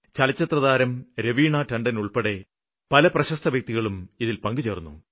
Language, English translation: Malayalam, Many famous personalities including actress Raveena Tandon became a part of it